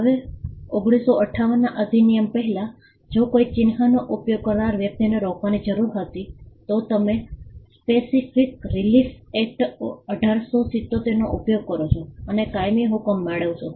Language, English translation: Gujarati, Now before the 1958 act, if there was a need to stop a person who was using a mark, you would use the Specific Relief Act 1877 and get a permanent injunction